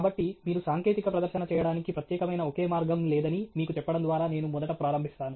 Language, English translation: Telugu, So, I will begin, first, by telling you that there is no specific single way in which you make a technical presentation